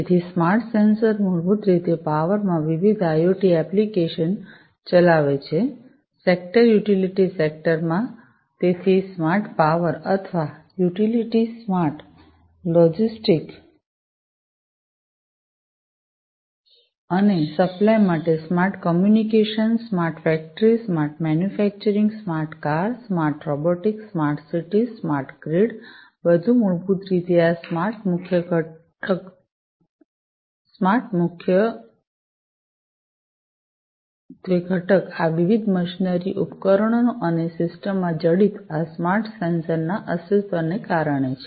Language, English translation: Gujarati, So, smart sensors basically drive different IIoT applications in the power, sector utility sector, so smart power or utility, smart logistics and supply, smart communication, smart factory, smart manufacturing, smart car, smart robotics, smart cities, smart grid, everything basically this smart component is primarily due to the existence of these smart sensors embedded in these different machinery devices and the system, as a whole